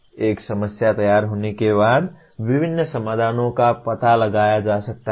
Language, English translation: Hindi, Once a problem is formulated, various solutions can be explored